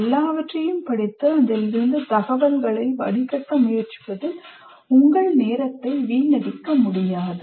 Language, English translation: Tamil, So you cannot waste your time in trying to read everything and distill information from that